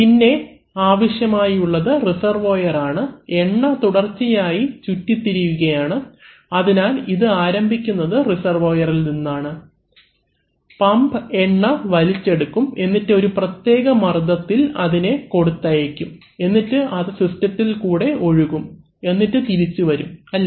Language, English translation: Malayalam, Then we need, we have a reservoir, oil is continuously circulating, so it is starting from a reservoir, the pump is sucking the oil and then delivering it at a pressure and then it is flowing through the system and then it is coming back to the reservoir, right